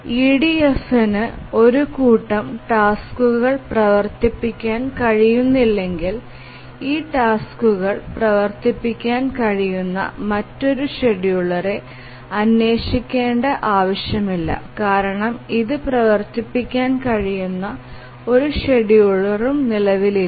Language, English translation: Malayalam, So, if EDF cannot run a set of tasks, it is not necessary to look for another scheduler which can run this task because there will exist no scheduler which can run it